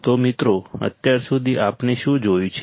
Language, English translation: Gujarati, So, guys, until now what have we seen